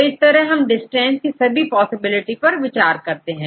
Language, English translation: Hindi, So, we get the distance among all possibilities